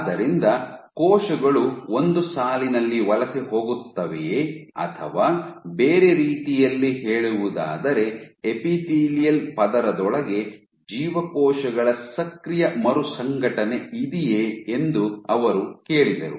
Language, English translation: Kannada, So, they asked that were cells all migrating in a line or what they were flows in other words where the active was the active reorganization of cells within the epithelial layer and what they use